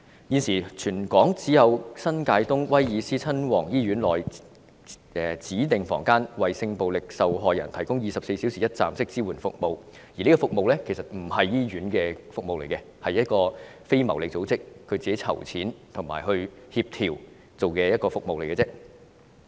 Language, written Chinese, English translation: Cantonese, 現時，全港只有新界東威爾斯親王醫院內的指定房間為性暴力受害人提供24小時一站式支援服務，但其實此服務並不是由醫院提供的服務，而是由非牟利組織自行籌錢及協調所辦的服務。, At present only the Prince of Wales Hospital in the New Territories East Cluster has designated a room as a crisis support centre to provide sexual violence victims with 24 - hour one - stop services but such services are not provided by the hospital . In fact the centre is run and coordinated by a non - profit making organization . The organization raises all the funds by itself